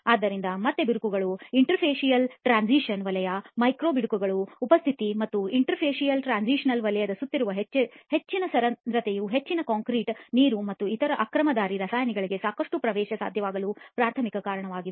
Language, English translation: Kannada, So again cracks and interfacial transition zone, presence of micro cracks and the higher porosity around the interfacial transition zone are the primary reasons why most concrete becomes quite permeable to water and other aggressive chemicals, okay